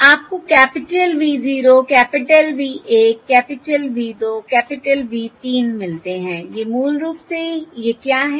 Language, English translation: Hindi, You get the capital V 0, capital V 1, capital V 2, capital V 3